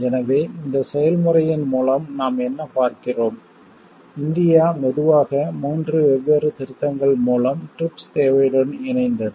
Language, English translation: Tamil, So, what we see through this process, India got slowly aligned with the TRIPS requirement through three different amendments